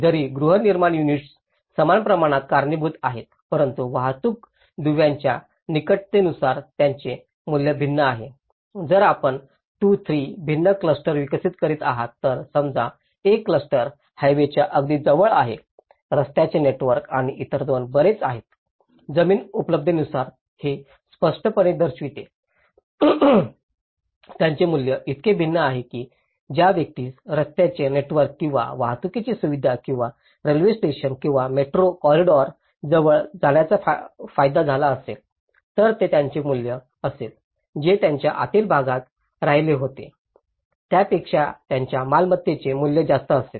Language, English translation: Marathi, Though the housing units cause the same amount but the value differs depending on the proximity of transport links imagine, if we are developing 2, 3 different clusters let’s say one cluster is very close to the highway, the road network and the other two are much interior depending on the land availability so obviously, it value differs so, the person who got a benefit of getting near the road network or the transport facility or a railway station or a metro corridor, so it will be his value; his property value is more higher than the one who was staying in the interiors